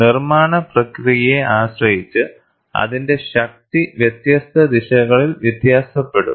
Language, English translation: Malayalam, Depending on the manufacturing process, its strength will vary on different directions